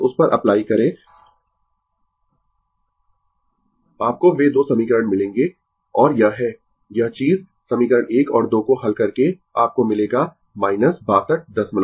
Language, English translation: Hindi, Just apply to that you will get those 2 equation and this is your this thing solving equation 1 and 2, you will get minus 62